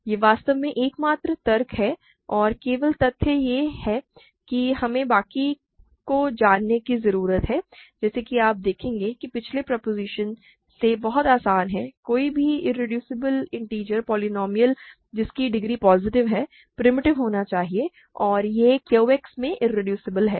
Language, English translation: Hindi, This is really the only argument only fact we need to know the rest as you will see is very easy from previous proposition; any irreducible integer polynomial whose degree is positive must be primitive and it is irreducible in Q X